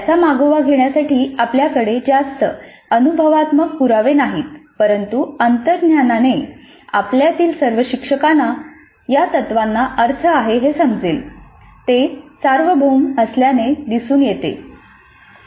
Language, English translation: Marathi, We do not have too much of empirical evidence to back it up but intuitively all of us teachers would see that these principles make sense